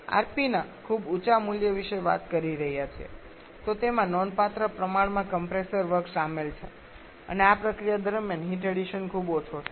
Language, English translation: Gujarati, Similarly if we are talking about very high value of RP then there is a significant amount of compressor work involved and heat addition is quite small during this process